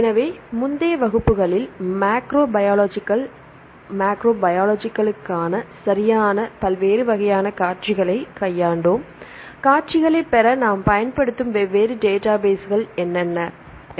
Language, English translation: Tamil, So, in the earlier classes, we dealt with different types of sequences right for the macrobiological macromolecules what are the different databases we use to obtain the sequences